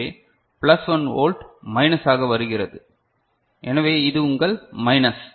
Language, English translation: Tamil, So, plus 1 volt is coming as a minus; so, this is your minus